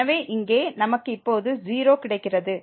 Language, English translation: Tamil, So, we have this 0 and then again minus 0